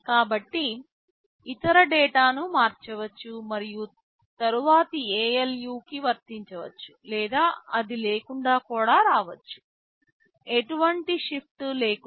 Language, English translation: Telugu, So, if the other data can be shifted and then appliedy to ALU or it can even come without that, so with no shifting